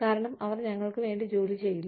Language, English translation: Malayalam, So, they do not work, for us